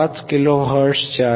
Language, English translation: Marathi, 5 kilo hertz above 1